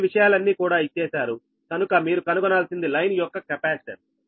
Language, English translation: Telugu, these things given, so you have to find out the line capacitance